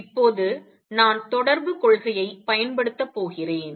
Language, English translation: Tamil, Now I am going to make use of the correspondence principle